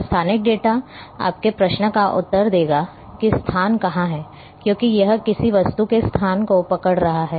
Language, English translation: Hindi, And the spatial data will answer your question that where is it the location, because it is having holding the location of an object